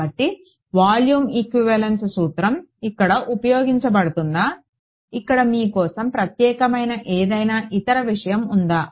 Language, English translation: Telugu, So, it is the volume equivalence principle that is used over here any other thing that sort of stands out for you over here